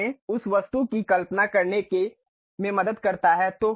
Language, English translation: Hindi, It help us to really visualize that object